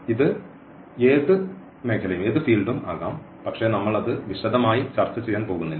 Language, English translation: Malayalam, So, it can be any field, but we are not going to discuss that into details